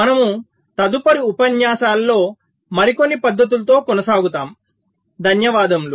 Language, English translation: Telugu, so we shall be continuing with some more techniques later in our next lectures